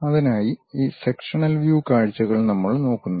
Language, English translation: Malayalam, For that purpose we really look at this sectional views